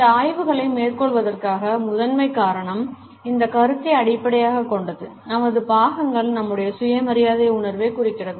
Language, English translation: Tamil, The primary reason for taking up these studies is based on this idea that our accessories symbolize our sense of self respect